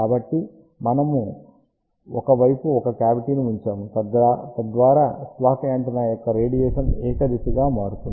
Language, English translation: Telugu, So, we had placed a cavity on one side, so that the radiation of the slot antenna becomes unidirectional